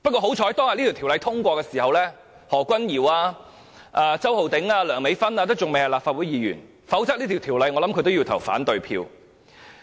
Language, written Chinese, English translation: Cantonese, 幸好當天通過該項條例時，何君堯議員、周浩鼎議員和梁美芬議員尚未當立法會議員，否則他們也會表決反對該條例。, Luckily when the legislation was passed back then Dr Junius HO Mr Holden CHOW and Dr Priscilla LEUNG had not yet been elected Members of the Legislative Council . Otherwise they would have voted against it